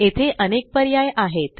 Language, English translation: Marathi, There are various options here